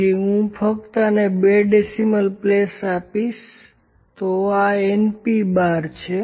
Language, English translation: Gujarati, So, I will just give this two places of decimal, so this is n P bar